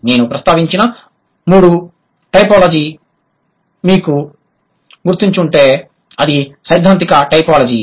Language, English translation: Telugu, If you remember the third typology that I mentioned is theoretical typology